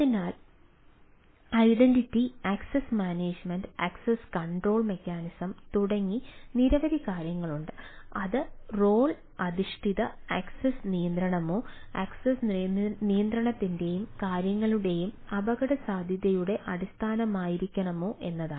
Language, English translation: Malayalam, one is identity and access management, ah access control mechanism whether it should be role base access control or ah use of risk base of access control and type of things